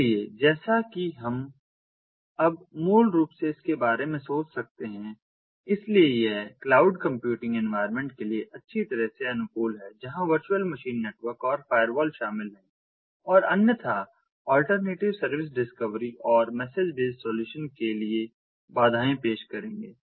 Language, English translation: Hindi, so it is well suited for cloud computing environments where virtual machines, networks and firewalls are involved and would otherwise present obstacles to the alternative service discovery and message based solutions